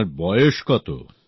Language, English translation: Bengali, And how old are you